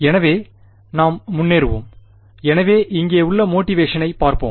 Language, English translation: Tamil, So, let us go ahead so let us look at the motivation over here